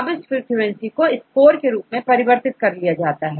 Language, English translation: Hindi, Then when frequency is calculated then we convert these frequencies into scores